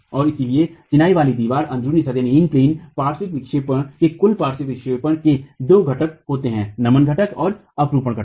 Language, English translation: Hindi, And so the total lateral deflection of a masonry wall in plain lateral deflection has two components, the flexural component and the shear component